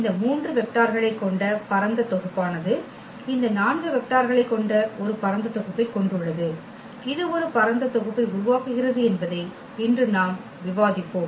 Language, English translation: Tamil, And this is what we will discuss today that having these 3 vectors we have a spanning set having this 4 vectors, that also form a spanning set